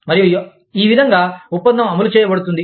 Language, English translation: Telugu, And, this is how, the contract is implemented